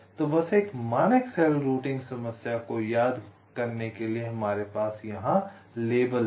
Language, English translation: Hindi, so, just to recall, in a standard cell routing problem we have label